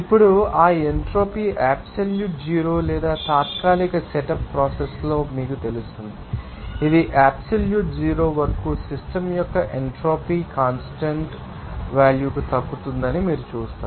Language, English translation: Telugu, Now, that entropy will you know be to absolute zero or in temporary setup process that up to absolute zero that you will see that the entropy of the system will recess to a constant value